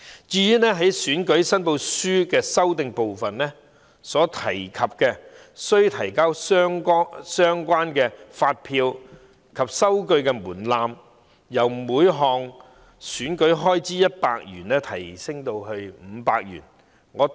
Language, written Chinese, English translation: Cantonese, 關於選舉申報書的修訂，當局把須提交相關發票及收據的門檻，由每項選舉開支100元提高至500元。, Regarding the revision on election returns the authorities proposed to raise the threshold for the submission of invoices and receipts from 100 to 500 on each item of expenditure